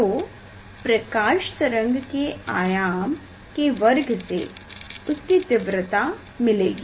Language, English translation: Hindi, amplitude square of the light wave gives the intensity